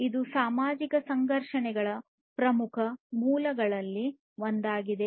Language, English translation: Kannada, It is one of the major sources of social conflicts